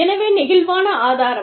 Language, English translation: Tamil, So, flexible resourcing